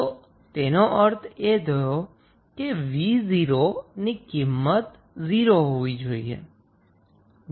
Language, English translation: Gujarati, So, what does it mean the value of V naught would be 0, right